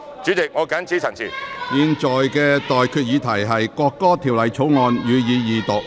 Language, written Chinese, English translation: Cantonese, 我現在向各位提出的待決議題是：《國歌條例草案》，予以二讀。, I now put the question to you and that is That the National Anthem Bill be read the Second time